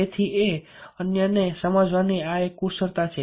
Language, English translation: Gujarati, so this is one of the skills to persuade others